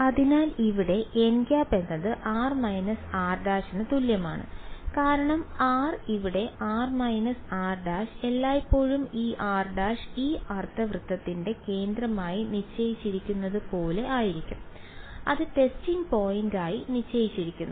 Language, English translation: Malayalam, So, here n hat is equal to r hat r minus r prime because r is here r minus r prime is always going to be like this r prime is fixed to be the centre of this semi circle that is the point that is fixed the testing point